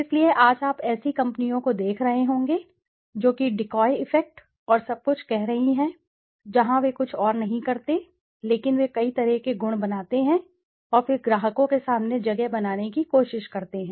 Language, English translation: Hindi, So today you must be seeing companies coming up with something called decoy effect and all, where they do nothing else but they make several combinations of attributes and then try to place in front of the customers